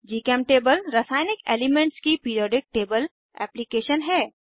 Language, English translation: Hindi, GChemTable is a chemical elements Periodic table application